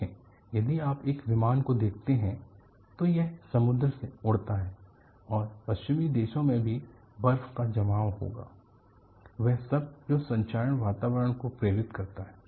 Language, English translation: Hindi, So, if you look at an aircraft, it flies though sea, and also in western countries, you will have deposition of snow; all that induces corrosive environment